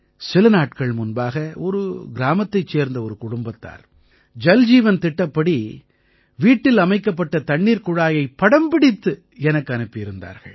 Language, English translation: Tamil, Just a few days ago, a family from a village sent me a photo of the water tap installed in their house under the 'Jal Jeevan Mission'